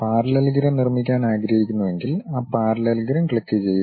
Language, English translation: Malayalam, Parallelogram if I would like to construct what I have to do click that parallelogram